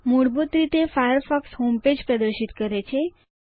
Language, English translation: Gujarati, By default, Firefox displays a homepage